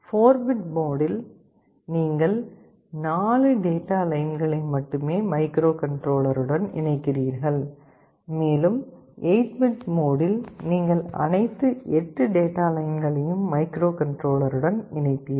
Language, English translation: Tamil, In 4 bit mode, you connect only 4 data lines with the microcontroller, and in the 8 bit mode, you will be connecting all 8 data lines to the microcontroller